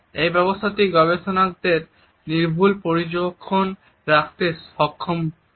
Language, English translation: Bengali, This system also enables the researchers to keep meticulous observations